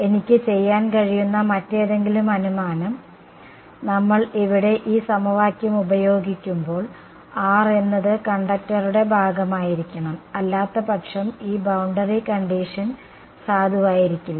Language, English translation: Malayalam, Any other assumption that I can make; by the way when we when we use this equation over here we are constrained that r must belong to the conductor right otherwise this boundary condition is not going to be valid right